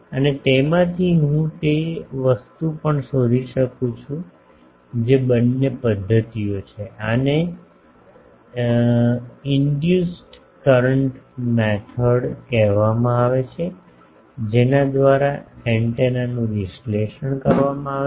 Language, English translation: Gujarati, And, from that also I can find the thing both methods are there, this is called induced current method by which where antennas are analysed